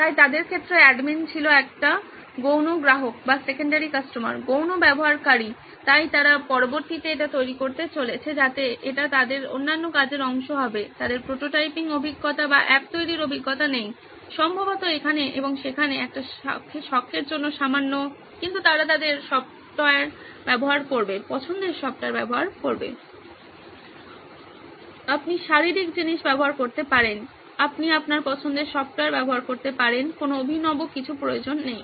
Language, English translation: Bengali, So in their case the admin was sort of a secondary customer, secondary user, so they’re going to build that later on so that will be part of their other tasks, they do not have a prototyping experience or an app building experience probably a little bit here and there for a hobby, but they use their software of choice, you can use physical stuff, you can use software of your choice does not need to be anything fancy